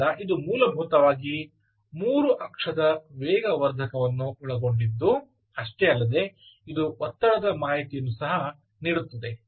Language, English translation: Kannada, so this not only contains the three axis accelerometer inside, it also contains the pressure information